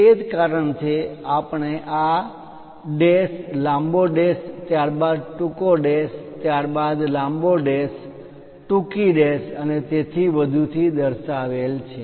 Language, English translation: Gujarati, That is the reason, we have these dash, long dash, followed by short dash, followed by long dash, short dash and so on